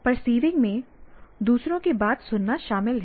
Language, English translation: Hindi, So, perceiving includes listening to others point of view